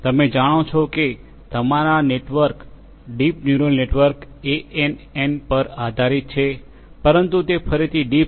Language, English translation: Gujarati, You know, so it deep in your network is again based on neural network ANN’s, but its again with deep deep